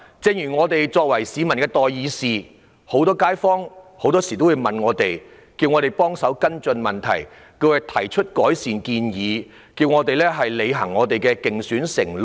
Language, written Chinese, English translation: Cantonese, 正如我們作為市民的代議士，街坊很多時候也會向我們提出查詢，要求我們跟進一些問題，亦會提出改善建議，並要求我們履行競選承諾。, Since we are the representatives of the people kaifongs often make enquiries with us and request us to follow up some issues . They may also put forward improvement proposals and urge us to honour our election pledges